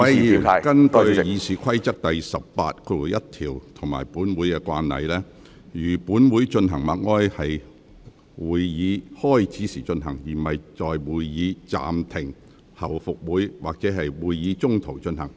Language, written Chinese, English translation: Cantonese, 各位議員，根據《議事規則》第181條及本會慣例，如本會進行默哀，會在會議開始時進行，而不會在會議暫停後復會時，或會議中途進行。, Members according to Rule 181 of the Rules of Procedure and past practices of this Council silence tribute by this Council if any should be paid at the beginning of the meeting instead of at the resumption of the meeting after an suspension or during the meeting